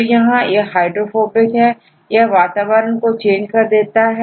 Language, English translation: Hindi, So, here this is hydrophobic this will change the environment